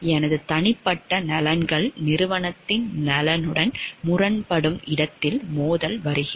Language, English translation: Tamil, Conflict of interest comes in where my personal interest is in conflict with the interest of the organization